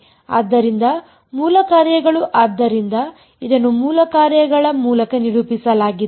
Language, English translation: Kannada, So, basis function so it is characterized by set of basis function